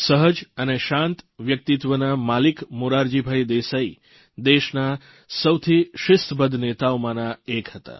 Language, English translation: Gujarati, A simple, peace loving personality, Morarjibhai was one of the most disciplined leaders